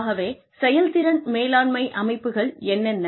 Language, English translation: Tamil, I told you, what performance management means